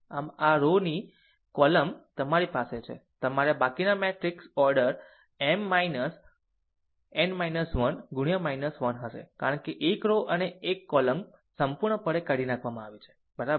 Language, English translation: Gujarati, So, this rows columns you have to you have to just eliminate ah rest the matrix order minor will be M minor your n minus 1 into n minus 1, because one row and one column is completely eliminated, right